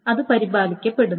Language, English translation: Malayalam, So that is maintained